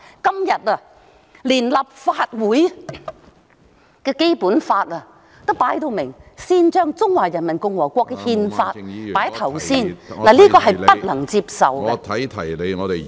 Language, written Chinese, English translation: Cantonese, 今天，連立法會也公然將《中華人民共和國憲法》放在首位，這是不能夠接受的......, But today even the Legislative Council has blatantly put the Constitution of the Peoples Republic of China first . This is unacceptable